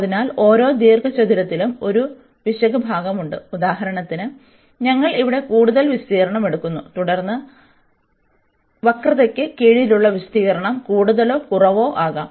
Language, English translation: Malayalam, So, this error for in each rectangle there is a error part here, which we are for example here we are taking more area then the area under the curve perhaps or the less we do not know